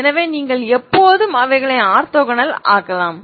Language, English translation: Tamil, Now i may have i can make them orthogonal